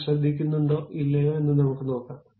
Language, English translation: Malayalam, Let us see whether that really takes care of it or not